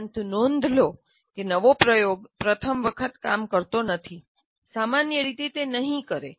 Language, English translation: Gujarati, But note that new experiment does not necessarily work the first time